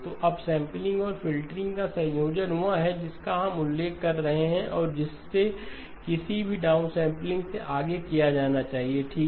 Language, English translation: Hindi, So the combination of upsampling and filtering is what we are referring to and that should be done ahead of any downsampling okay